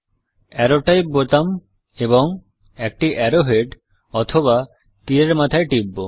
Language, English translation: Bengali, Let us click the Arrow Type button and an arrow head